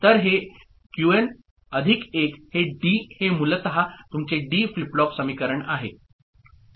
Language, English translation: Marathi, So, this Qn plus 1 is D is basically your this D flip flop equation